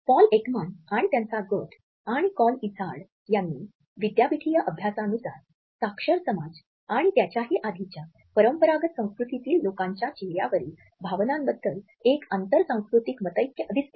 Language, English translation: Marathi, University studies by Paul Ekman and his team and also by Crroll Izard have demonstrated high cross cultural agreement in judgments of emotions in faces by people in both literate and preliterate cultures